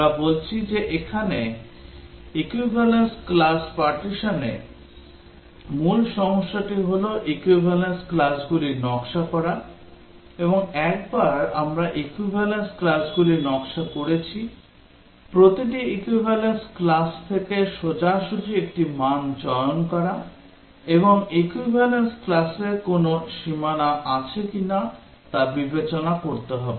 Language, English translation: Bengali, We are saying that the main problem here in equivalence partitioning is to design the equivalence classes, and once we have designed the equivalence classes, it is straight forward to choose one value from each equivalence class, and also to consider if the equivalence classes have any boundary